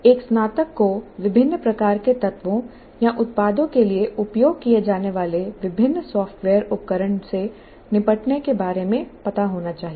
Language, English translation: Hindi, So a graduate should know maybe different software tools that are used for different kind of elements or products that a graduate needs to deal with